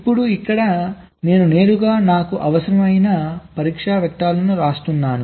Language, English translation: Telugu, now here i am directly writing down the test vectors that i require